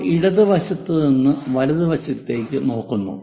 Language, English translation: Malayalam, And we are looking from left side so, it is called left side view